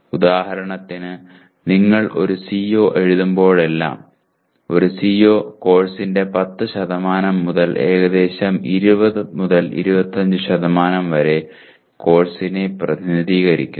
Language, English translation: Malayalam, For example, whenever you write a CO, a CO represents almost anywhere from 10% of the course to almost 20 25% of the course